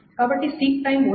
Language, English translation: Telugu, So there is no seek time, etc